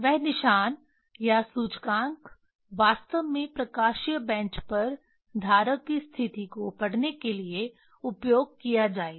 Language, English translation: Hindi, That mark or pointer actually will be used to read the position of the holder on the optical bench